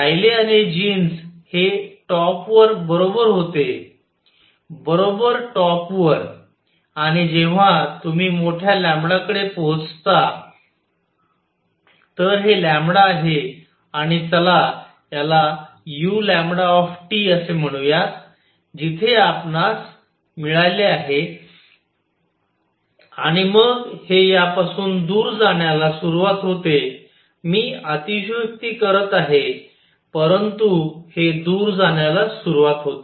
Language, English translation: Marathi, Rayleigh Jeans is right on top right on top and when you reach large lambda, so this is lambda this is let us say u lambda T, where you got and then it is start deviating I am exaggerating it, but starts deviating